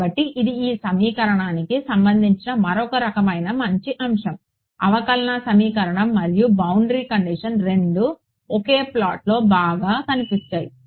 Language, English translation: Telugu, So, this that is another sort of nice aspect about this equation that the differential equation and the boundary conditions both have appeared into this in one shot fine